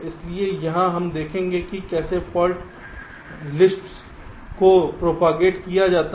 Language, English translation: Hindi, so here we shall see how fault lists are propagated